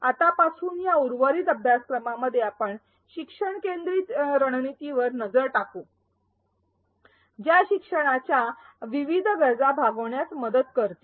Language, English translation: Marathi, From now on in the rest of this course, we will look at learner centric strategies that will help address various learning needs